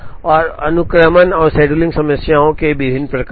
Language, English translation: Hindi, and different types of sequencing and scheduling problems